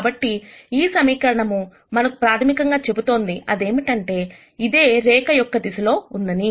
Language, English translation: Telugu, So, what this equation basically tells us is that this is in the direction of the line